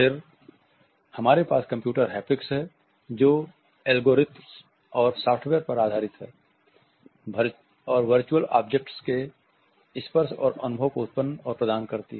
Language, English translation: Hindi, Then we have computer haptics which is based on algorithms and software’s associated with generating and rendering the touch and feel of virtual objects